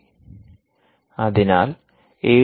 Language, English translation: Malayalam, so the a d c